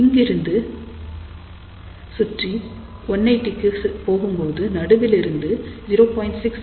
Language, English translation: Tamil, So, we go around go to 180 degree locate this point 0